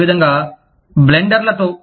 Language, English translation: Telugu, Similarly, with blenders